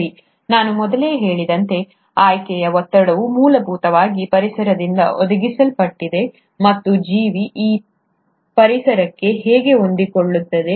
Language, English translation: Kannada, Well, as I mentioned earlier, the selection pressure is essentially provided by the environment, and how does the organism adapt to that environment